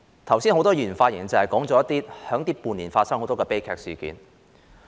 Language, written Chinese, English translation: Cantonese, 剛才很多議員發言時，提及這半年間發生的多宗悲劇事件。, When many Members delivered their speeches earlier they mentioned the numerous tragic incidents which occurred over the past six months